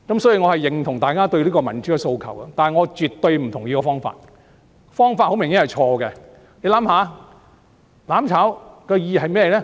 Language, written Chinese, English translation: Cantonese, 所以，我認同大家對民主的訴求，但我絕不同意用這種方法，方法很明顯是錯的。, Therefore I share their aspiration for democracy but I absolutely disagree to the use of this approach which is obviously wrong